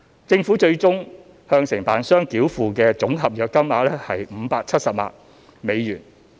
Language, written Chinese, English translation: Cantonese, 政府最終向承辦商繳付的總合約金額約為570萬美元。, As such the final contract sum payable to the contractor was about US5.7 million